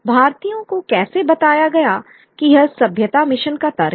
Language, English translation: Hindi, However, the Indians told that this is the logic of the civilizing mission